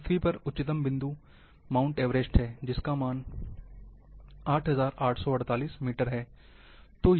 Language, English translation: Hindi, Highest point on earth is 8848, that is,Mount Everest